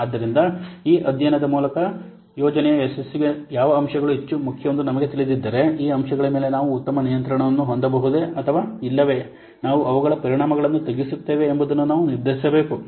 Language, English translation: Kannada, So, with this study if you will know that which factors are most important to success of the project, then we need to decide whether we can exercise better control over these factors or otherwise will mitigate their effects